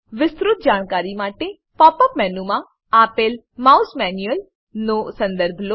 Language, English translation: Gujarati, For a detailed description, refer to the Mouse Manual provided in the Pop up menu